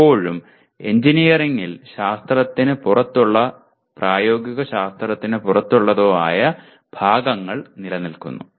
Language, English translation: Malayalam, But still something in engineering that is outside science or outside applied science does exist